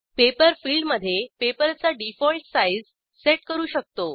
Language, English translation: Marathi, In the Paper field, we can set the default paper size